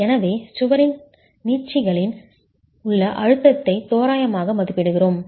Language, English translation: Tamil, So we approximate the stress in the stretches of the wall